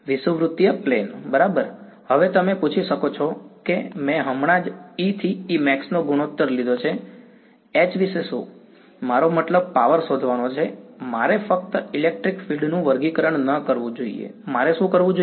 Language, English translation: Gujarati, Equatorial plane right; now, you might ask I just took the ratio of E to E max, what about H, I mean to find power I should not just be squaring the electric field right I should do